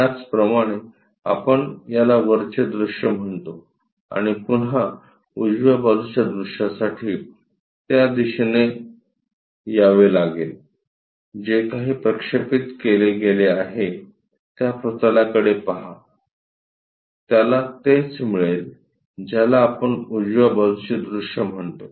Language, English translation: Marathi, As this we call as top view and again, for the right side view, he has to come to that direction, look on that plane whatever it is projected, he is going to get that is what we call right side view